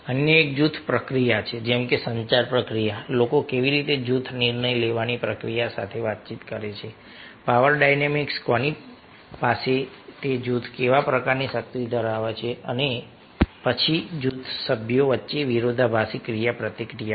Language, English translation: Gujarati, other one is group process, like the communication process, how people are communicating, group decision making process, power dynamics, who is having what kind of power in that group, and then conflicting interactions amongst the group members